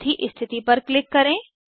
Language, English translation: Hindi, Click on the fourth position